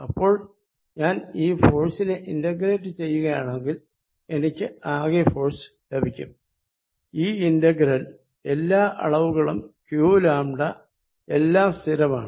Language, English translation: Malayalam, Now, if I integrate this force that gives me the total force, this integration all the quantities q lambda, thus all these are fixed